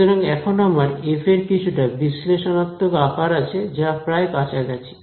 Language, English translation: Bengali, So, now I have a sort of analytical form for f which is approximation